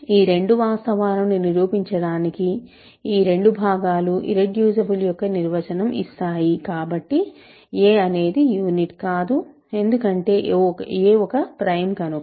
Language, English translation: Telugu, So, to show these two facts, because these two parts give the definition of irreducibility; a is not a unit is because a is prime